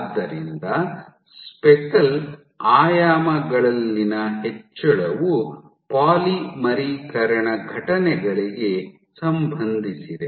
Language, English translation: Kannada, So, increase in speckle dimensions is linked to polymerization events